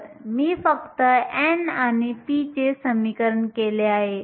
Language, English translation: Marathi, So, I have just equated n and p